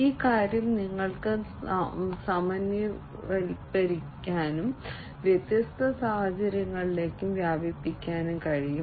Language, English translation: Malayalam, And this thing you can generalize and extend to different, different scenarios, likewise